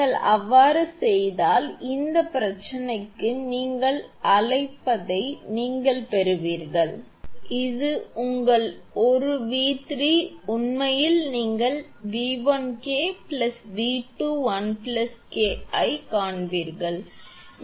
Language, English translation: Tamil, If you do so, then you will get your what you call for this problem your this one V 3 actually you will find V 1 K plus V 2 into 1 plus K